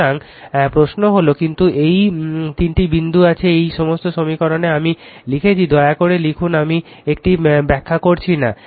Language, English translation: Bengali, So, question is that, but this 3 dots are there this all this equations, I have written right you please write it I am not explain it